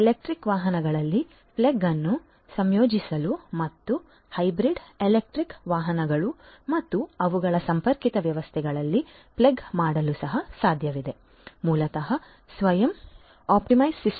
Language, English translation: Kannada, It is also possible to integrate plug in electric vehicles and plug in hybrid electric vehicles and their connected systems, it is also possible to basically have a self optimized system and so on